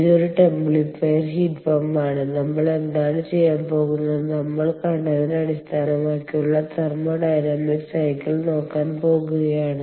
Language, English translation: Malayalam, ok, it is a templifier heat pump and what we are going to do is look at the thermodynamic cycle based on what we saw